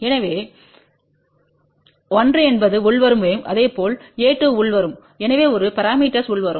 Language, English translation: Tamil, So, a 1 is incoming wave similarly a 2 is incoming, so a parameters are incoming